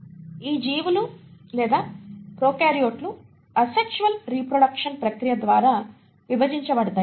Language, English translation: Telugu, And, these organisms or prokaryotes divide through the process of asexual reproduction